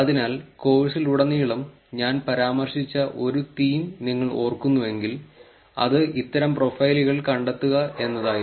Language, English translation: Malayalam, So, that is if you remember again one of the themes that I had been mentioning across the course is actually finding out these profiles